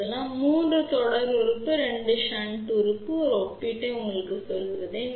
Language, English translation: Tamil, So, you can see that there are 3 series element 2 shunt element, and just to tell you the comparison